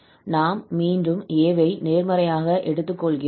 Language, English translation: Tamil, When we put a, we are getting the second one